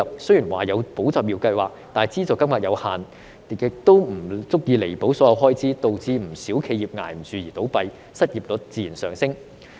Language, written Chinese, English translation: Cantonese, 雖然有"保就業"計劃，但資助金額有限，亦不足以彌補所有開支，導致不少企業支持不住而倒閉，失業率自然上升。, Despite the introduction of the Employment Support Scheme the amount of subsidies provided is limited and cannot cover all the expenses . As a result many enterprises cannot cope and have to close down and the unemployment rate naturally rises